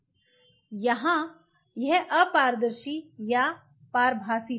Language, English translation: Hindi, Here this was opaque or translucent